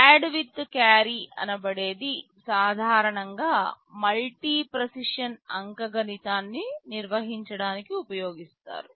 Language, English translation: Telugu, There is a version add with carry that is normally used to handle multi precision arithmetic